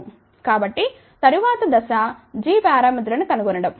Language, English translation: Telugu, The next step is now to find out g parameter